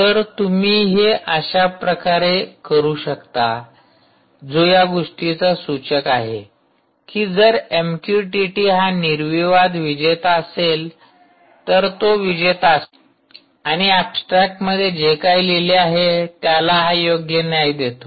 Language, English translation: Marathi, so you can go on like this, right, which is a clear indicator that if mqtt is a clear winner, its a winner and it actually justifies what was written in the abstract, particularly